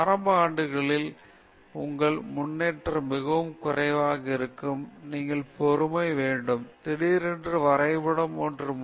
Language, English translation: Tamil, In the initial years, your progress will be very less, you should have patience, then suddenly the graph takes a turn; isn’t it